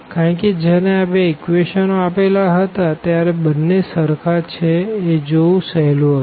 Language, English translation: Gujarati, Because, when these two equations are given it was easy to see that these two equations are the same equation